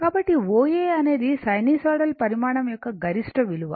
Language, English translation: Telugu, So, O A is the maximum value of your what you call of a sinusoidal quantities